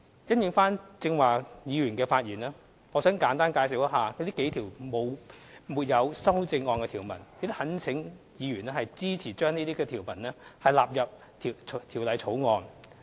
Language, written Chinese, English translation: Cantonese, 因應剛才議員的發言，我想簡單介紹以下數項沒有修正案的條文，並懇請委員支持將這些條文納入《2017年印花稅條例草案》。, In respond to the speeches made by Members just now I wish to explain briefly the following clauses with no amendment and implore Members support for these clauses to stand part of the Stamp Duty Amendment Bill 2017 the Bill